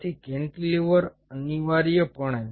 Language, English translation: Gujarati, ok, so cantilever, essentially